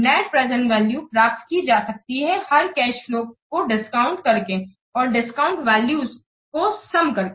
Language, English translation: Hindi, The net present value it is obtained by discounting each cash flow and summing the discounted values